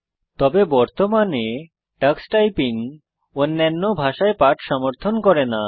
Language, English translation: Bengali, However, currently Tux Typing does not support lessons in other languages